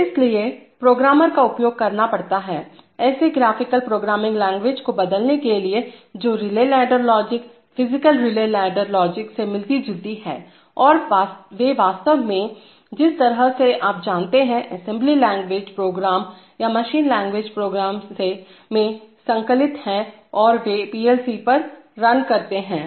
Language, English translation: Hindi, So that is why programmers have to be used, to convert such graphical programming language which resemble relay ladder logic, physical relay ladder logic and they actually get, kind of, you know, compiled into an assembly language program or a machine language program and they run on the PLC